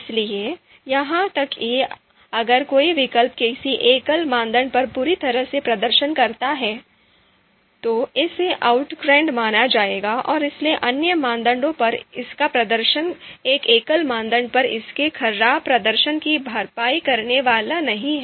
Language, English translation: Hindi, So even in if in a single criterion you know if alternative performs badly, then it would be considered you know outranked and therefore its performance on you know other criteria you know that are not so its performance in other criteria is not going to compensate for its bad performance on even one single criterion